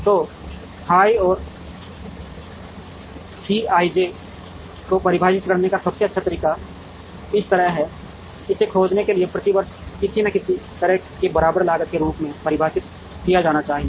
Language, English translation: Hindi, So, the best way to define f i and C i j is like this, f i is should be defined as some kind of a equivalent cost per year in locating it